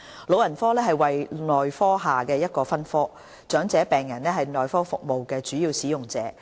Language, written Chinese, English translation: Cantonese, 老人科為內科下的一個分科，長者病人是內科服務的主要使用者。, Geriatrics is a subspecialty under the specialty of medicine of which elderly patients are the major service users